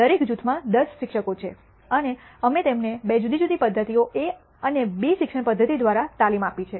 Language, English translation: Gujarati, There are 10 teachers in each group and we have trained them by two different methods A and B teaching methodology